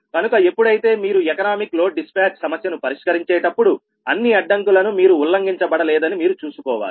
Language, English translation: Telugu, so when you are solving economic load dispatch problem then you have to see that all the constraints also are not violated